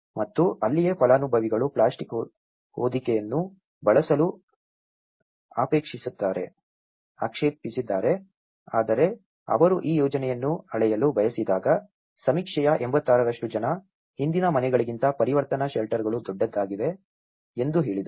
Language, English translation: Kannada, And that is where the beneficiaries have objected to use the plastic sheeting but when they want to scale up this project that is where they say that 86% of the survey, they have said that the transition shelters were larger than the previous houses